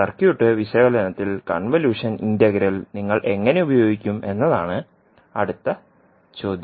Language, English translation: Malayalam, Now the next question would be how you will utilize the convolution integral in circuit analysis